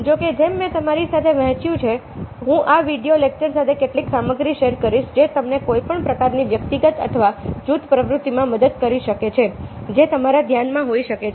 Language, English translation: Gujarati, however, ah, as i have shared with you, i will be sharing some material ah, along with this video lecture, which might help you with any kind of individual or group activity that you might have in mind